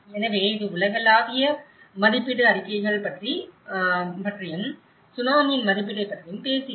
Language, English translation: Tamil, So, that is briefly about the Global Assessment Reports and also talk about the post Tsunami assessment